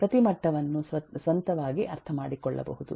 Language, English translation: Kannada, every level can be understood on its one